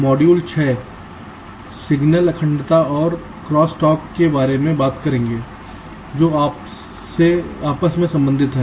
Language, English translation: Hindi, module six will talk about the signal integrity and cross talk which are related